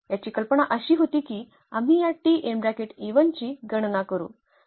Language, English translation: Marathi, The idea was that we compute this T e 1